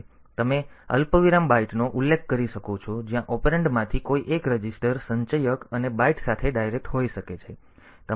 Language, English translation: Gujarati, So, you can specify a comma byte where the so one of the operand has to be the a register, the accumulator and with the byte can be direct